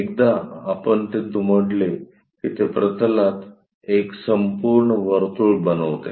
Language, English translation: Marathi, Once we fold that, it forms complete circle on the plane